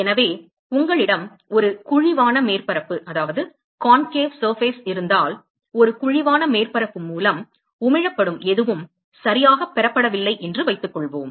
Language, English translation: Tamil, So, supposing if you have a concave surface whatever is emitted by a concave surface is not received by itself ok